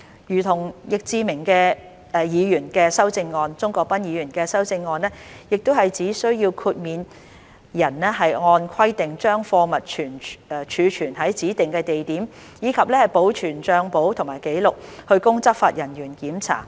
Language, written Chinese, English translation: Cantonese, 如同易志明議員的修正案，鍾國斌議員的修正案亦只需要豁免人按規定把貨物儲存於指定地點，以及保存帳簿及紀錄，供執法人員檢查。, Like Mr YICKs amendments Mr CHUNG Kwok - pans amendments only require the exempt person to store the goods at a specified place and maintain books and records for inspection by law enforcement officers